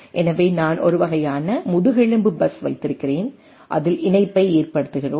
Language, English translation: Tamil, So, I have a sort of a backbone bus and then connectivity on the thing